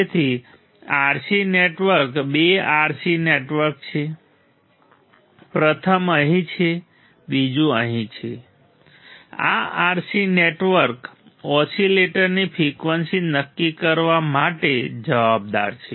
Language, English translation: Gujarati, So, RC network there is two RC network; first one is here second one is here this RC network are responsible for determining the frequency of the oscillator right